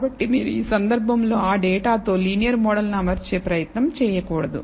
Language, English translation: Telugu, So, you should in this case you should not attempt to fit a linear model with the data